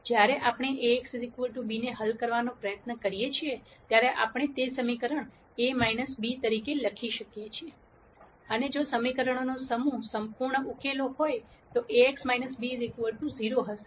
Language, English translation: Gujarati, When we try to solve Ax equal to b, we can write that equation as A x minus b, and if there is a perfect solution to the set of equations then Ax minus b will be equal to 0